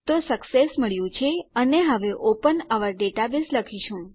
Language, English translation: Gujarati, So we have got our Success and now we will say open our database